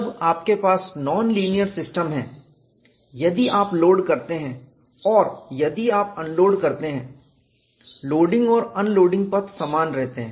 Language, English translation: Hindi, When you are having the system as non linear, if you load and if you unload, the loading and unloading path would remain same